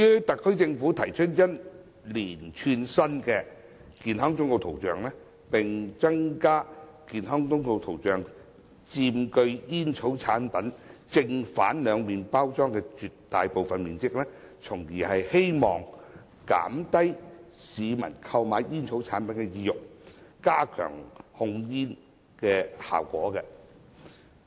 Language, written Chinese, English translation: Cantonese, 特區政府提出一套新的健康忠告圖像，並增加健康忠告圖像佔煙草產品正、背兩面包裝的絕大部分面積，從而希望減低市民購買煙草產品的意欲，加強控煙效果。, The Government has proposed a new set of graphic health warnings and increased their coverage on the front and back sides of packets of tobacco products in the hope of reducing peoples desire to purchase tobacco products and thereby enhancing the effectiveness of tobacco control